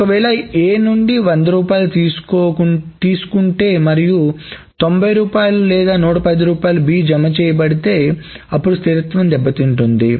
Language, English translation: Telugu, If 100 rupees were taken from A and only 90 rupees or 110 rupees were credited to be, then that the consistency may suffer